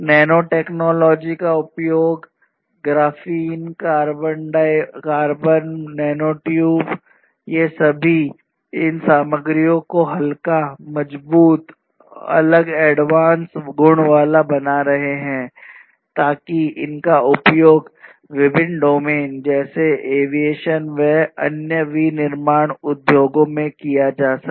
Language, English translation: Hindi, Use of nanotechnology, Graphene, carbon, nanotubes these are also making these materials lighter, stronger having different advanced properties for being used in different application domains such as aviation industries, for different other manufacturing industries and so on